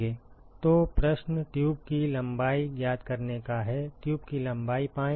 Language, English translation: Hindi, So, the question is find the tube length; find the tube length